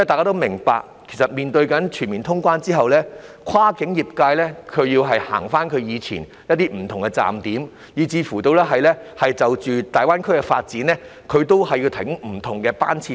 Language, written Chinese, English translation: Cantonese, 大家都明白，全面通關之後，跨境客運業界會再次為以往不同的站點提供服務，甚至會因應大灣區的發展營運服務，提供不同班次。, As we all understand after the resumption of full cross - border travel the cross - boundary passenger service sector will again provide services at different stops and will even operate services with different frequencies to tie in with the development of the Greater Bay Area